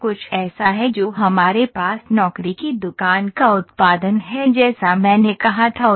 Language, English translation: Hindi, So, this is something that we have job shop production as I said